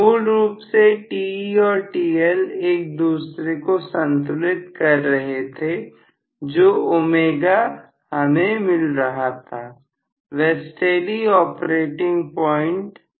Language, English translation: Hindi, Originally, Te and TL were balancing each other, so omega was actually at a steady operating point